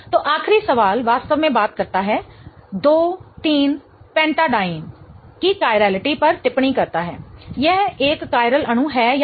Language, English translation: Hindi, So, the last question really talks about comment on the chirality of two three pentadine whether it is a chiral molecule or not